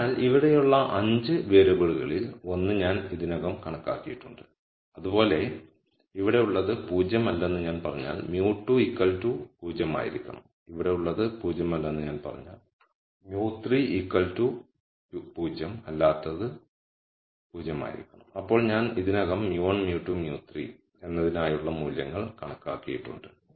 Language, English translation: Malayalam, So, out of the 5 variables here I have already computed one, similarly if I say whatever is inside here is not 0 then mu 2 has to be 0 and whatever is inside here is not 0 mu 3 has to be 0 then I have already computed values for mu 1, mu 2, mu 3